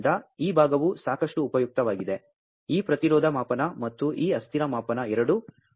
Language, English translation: Kannada, So, this part is quite useful, both this resistance measurement and this transient measurement